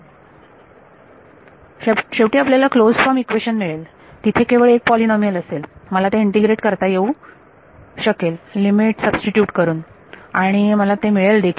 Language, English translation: Marathi, You will get a closed form equation because finally, there will just be polynomial I can integrate them substitute the limits and I will get it so